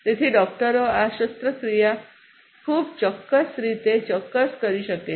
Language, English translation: Gujarati, So, the doctors can perform this surgery very precisely accurately